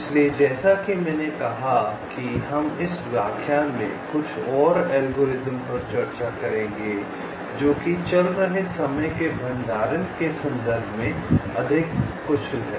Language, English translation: Hindi, so, as i said, we shall be discussing some more algorithms in this lecture which are more efficient in terms of the running time, also the storage complexities